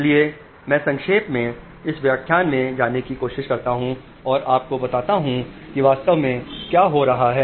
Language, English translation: Hindi, So I will just briefly try in this lecture go to and tell you what is happening actually because this is very important